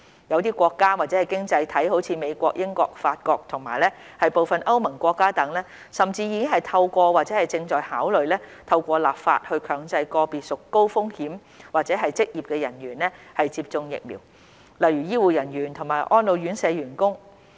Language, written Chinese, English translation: Cantonese, 一些國家/經濟體如美國、英國、法國和部分歐盟國家等，甚至已經透過或正在考慮透過立法以強制個別屬高風險組別或職業的人員接種疫苗，例如醫護人員和安老院舍員工。, Some countrieseconomies such as the United States the United Kingdom France and certain European Union countries have even taken or are considering taking legislative action to mandate vaccination for personnel of certain high - risk groups or occupations such as healthcare workers and staff of elderly care homes